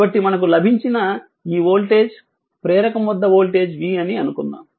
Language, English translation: Telugu, So, this voltage across the inductor we have got say this is voltage say v this is voltage v right